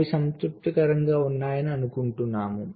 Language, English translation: Telugu, so we assume that those are satisfied